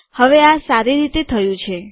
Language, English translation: Gujarati, Now this is nicely done